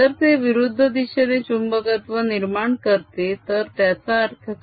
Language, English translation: Marathi, if it develops magnetization in the opposite direction, what does it mean